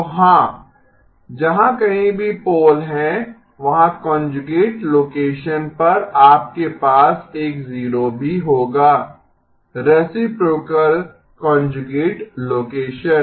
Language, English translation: Hindi, So yes wherever there is a pole you will also have a 0 at the conjugate location, reciprocal conjugate location